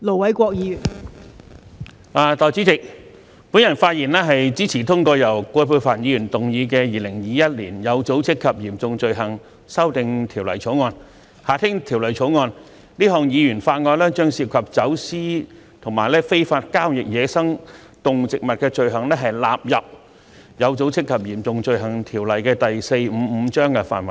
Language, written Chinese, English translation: Cantonese, 代理主席，我發言支持通過由葛珮帆議員動議的《2021年有組織及嚴重罪行條例草案》，這項議員法案將涉及走私與非法交易野生動植物的罪行，納入《有組織及嚴重罪行條例》範圍內。, Deputy Chairman I speak in support of the passage of the Organized and Serious Crimes Amendment Bill 2021 moved by Ms Elizabeth QUAT . This Members Bill seeks to incorporate certain offences involving wildlife trafficking and illegal trade into the Organized and Serious Crimes Ordinance Cap